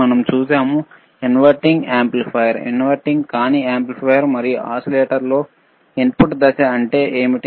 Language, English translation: Telugu, Wwe have seen in inverting amplifier, we have seen in non inverting amplifier, and iwe have seen in oscillators, that what is the input phase